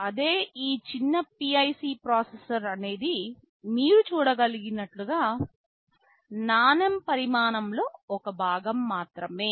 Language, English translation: Telugu, In comparison the smallest PIC processor is a fraction of the size of a coin as you can see